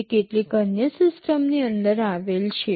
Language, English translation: Gujarati, It is embedded inside some other system